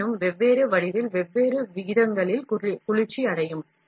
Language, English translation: Tamil, However, different geometries will cool at different rates